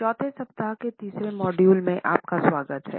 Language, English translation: Hindi, Welcome dear participants to the 3rd Module of the fourth week